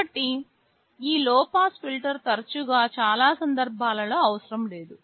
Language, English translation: Telugu, So, this low pass filter often is not required for most cases